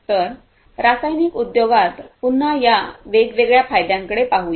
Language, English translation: Marathi, So, in the chemical industry once again, let us have a look at these different benefits